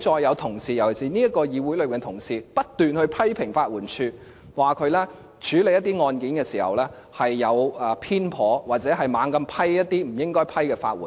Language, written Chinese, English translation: Cantonese, 我聽到這個議會內的同事不斷批評法援署，指署方處理一些案件時有所偏頗，或胡亂批出法援。, My colleagues in this Council constantly criticize the LAD accusing it of being biased in handling cases and of randomly granting legal aid